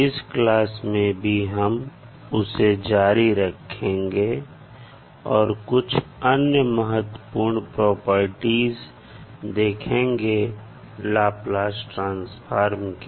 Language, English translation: Hindi, So in this class also we will continue our journey on discussing the few important properties of the Laplace transform